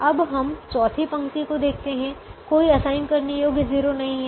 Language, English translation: Hindi, now second column does not have an assignable zero